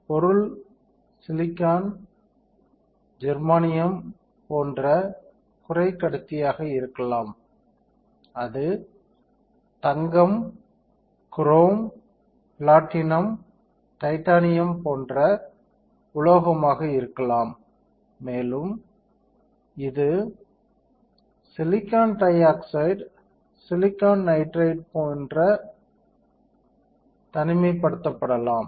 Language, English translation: Tamil, So, material can be semiconductor like silicon germanium, it can be metal like gold, chrome, platinum, titanium, it can be insulated like silicon dioxide, silicon nitride right